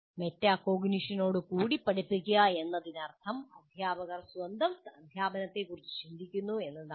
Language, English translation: Malayalam, Teaching with metacognition means teachers think about their own thinking regarding their teaching